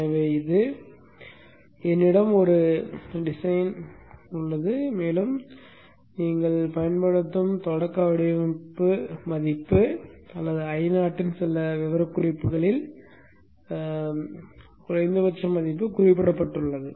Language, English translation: Tamil, So this is a design, a starting design value which people use or in some of the specification minimum value of I not is specified